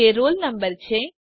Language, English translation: Gujarati, That is roll number